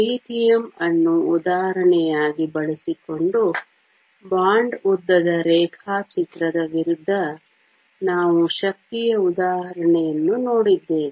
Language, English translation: Kannada, We also saw an example of energy versus a bond length diagram using lithium as the example